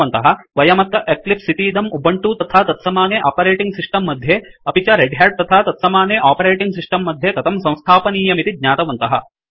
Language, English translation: Sanskrit, We have seen how to install Eclipse on Ubuntu and similar Operating System and on Redhat and similar Operating System